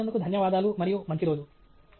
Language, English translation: Telugu, Thank you for paying attention and have a great day